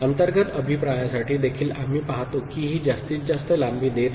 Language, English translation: Marathi, For internal feedback also we see that it is giving maximal length